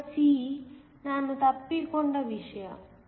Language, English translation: Kannada, Part c is something that I missed